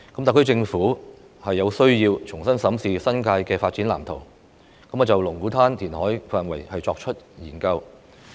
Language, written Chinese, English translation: Cantonese, 特區政府有需要重新審視新界的發展藍圖，就龍鼓灘填海範圍進行研究。, The HKSAR Government needs to re - examine the development blueprint of the New Territories and conduct a study on the reclamation area in Lung Kwu Tan